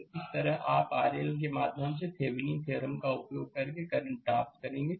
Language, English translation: Hindi, So, this way you will get the current through R L using Thevenin’s theorem